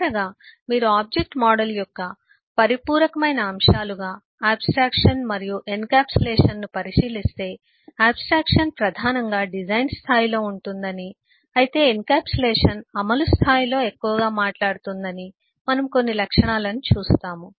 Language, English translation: Telugu, finally, if you look into abstraction and encapsulation as uh complementary elements of object model, we will eh see certain characteristics that abstraction is primarily at a design level, whereas encapsulation is talking more in the implementation level